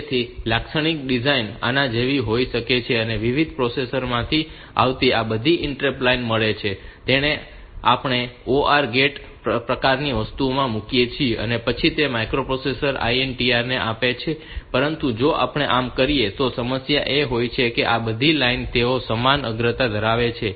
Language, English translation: Gujarati, So, typical design is like this that I have got all these interrupt lines coming from different processors put them into this orgate sort of thing and then give it to the microprocessors INTR p, but if we do this then the problem is that all these lines they are of equal priority